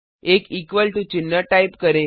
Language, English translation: Hindi, Type an equal to sign